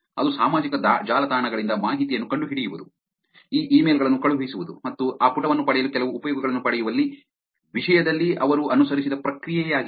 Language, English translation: Kannada, That is a process that they followed in terms of finding out information from social networks, sending out this emails and getting some uses to get to that page